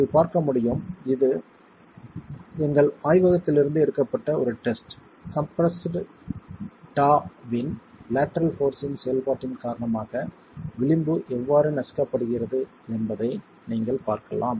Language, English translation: Tamil, As you can see, this is a test from our laboratory, you can see how the edge that is getting compressed due to the lateral force acting, that compressed toe is crushing